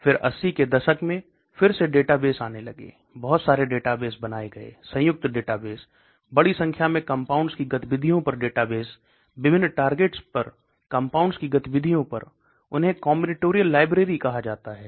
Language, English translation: Hindi, Then in the 80s okay again databases started coming, lot of databases are created combinatorial databases, database on activity of large number of compounds, activity of compounds on different targets, they are called combinatorial libraries